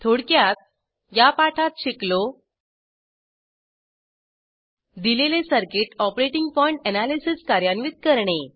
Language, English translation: Marathi, In this tutorial we will learn, To perform operating point analysis